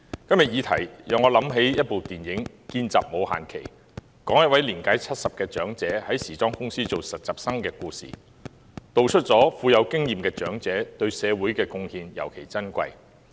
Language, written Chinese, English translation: Cantonese, 今天的議題讓我想起一齣電影"見習冇限耆"，是有關一位年屆70的長者在時裝公司做實習生的故事，道出了富有經驗的長者對社會的貢獻尤其珍貴。, The subject matter today reminds me of a film called The Intern which is a story about a 70 - year old man working as an intern in a fashion company . It describes the particularly valuable contribution made by experienced elderly people to society